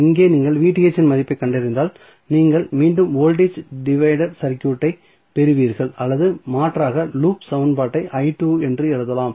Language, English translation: Tamil, So, here if you find out the value of Vth what you get you will get again the voltage divider circuit or alternatively you can write the loop equation say I2